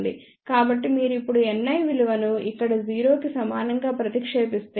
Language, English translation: Telugu, So, if you now substitute the value of N i equal to 0 over here